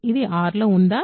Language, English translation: Telugu, So, it is in R